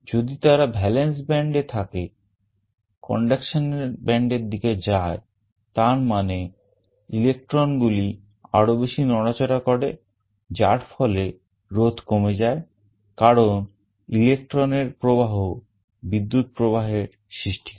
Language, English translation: Bengali, Valence band to conduction band if they move; that means, electrons become more mobile resulting in a reduction in resistance because flow of electrons result in a flow of current